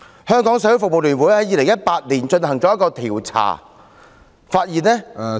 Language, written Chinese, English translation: Cantonese, 香港社會服務聯會在2018年進行調查，發現......, In 2018 the Hong Kong Council of Social Service conducted a survey and found